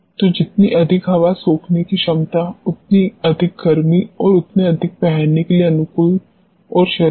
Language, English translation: Hindi, So, the more airs sorbing capacity the more heating and more conducive to wearing and body